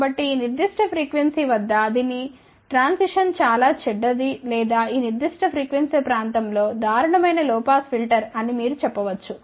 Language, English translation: Telugu, So, that means, at this particular frequency it is behavior is very bad or you can say it is a pathetic low pass filter at that particular frequency region